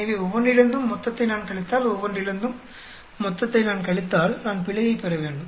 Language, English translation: Tamil, So, if I subtract the total from each one of them, if I subtract the total from each one of them; I should get error